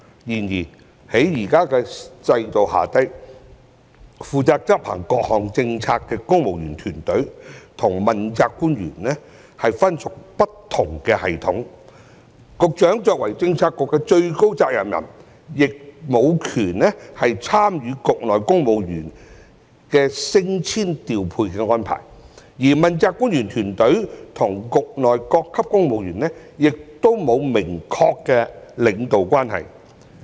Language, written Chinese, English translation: Cantonese, 然而，在現時的制度下，負責執行各項政策的公務員團隊與問責官員分屬不同系統；局長作為政策局的最高責任人，亦無權參與局內公務員升遷調配的安排，而問責官員團隊與局內各級公務員亦沒有明確的領導關係。, However under the current regime the civil service team who are responsible for the implementation of various policies and the accountability officials belong to different systems . Despite being the top official in charge of a bureau the Director of Bureau does not have the power to take part in deciding the promotion and deployment of civil servants within the bureau and there is no clear leadership relationship between the team of accountability officials and the civil servants at all levels within the bureau either